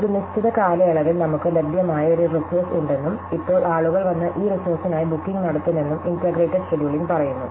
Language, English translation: Malayalam, So, interval scheduling said that we had a resource which is available over a period of time and now people will come and make bookings for these resources